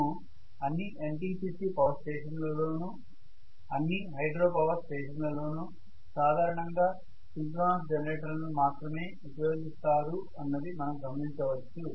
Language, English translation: Telugu, Synchronous machine if you look at all the NTPC power stations, all the NPC power stations, all the hydro power stations, all of them use very clearly only synchronous generators